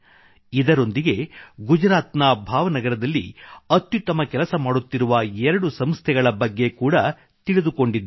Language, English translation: Kannada, Along with this I know two organisations in Bhav Nagar, Gujarat which are doing marvellous work